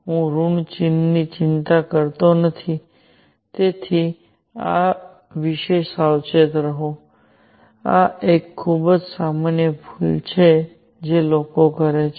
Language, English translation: Gujarati, I am not worrying about the minus sign, so be careful about this; this is a very common mistake that people make